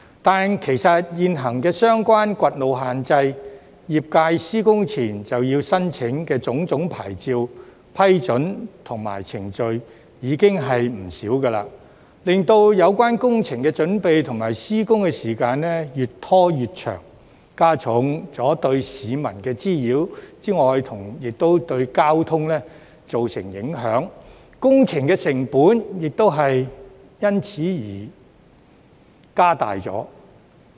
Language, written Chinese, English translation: Cantonese, 但是，其實現行相關掘路限制、業界施工前要申請的種種牌照、批准和程序已經不少，令有關工程的準備及施工時間越拖越長，加重對市民的滋擾，也對交通造成影響，工程成本亦因而增加。, However due to the many existing restrictions on road excavation and various licences and approvals the sector has to apply for or procedures it has to undergo prior to construction the preparation and construction time of the project has become increasingly longer causing more nuisance to the public as well as traffic implications which will in turn lead to higher project costs